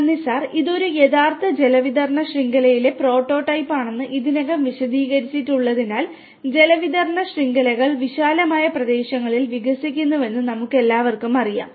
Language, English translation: Malayalam, Thank you sir, as already it has been explained that this is a prototype of a real water distribution network and we all know that water distribution networks expand over vast areas